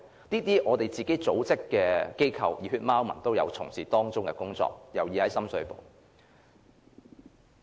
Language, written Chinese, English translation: Cantonese, 就類似組織或機構，其實"熱血貓民"也有從事當中的工作，尤其是在深水埗。, Among such groups or organizations Civic Passion has actually done the relevant work especially in Sham Shui Po